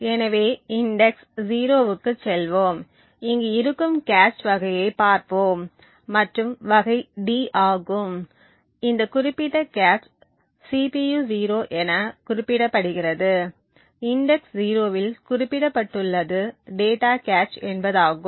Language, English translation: Tamil, So will go into index 0 and we will look at the type of cache which is present over here and the type is D, data which indicates that this particular cache represented at CPU 0 index 0 is a data cache